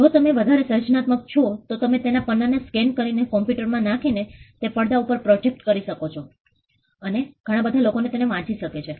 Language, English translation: Gujarati, If you are more creative, you could scan the page and put it on a computer screen or project it on a computer screen and whole lot of people can read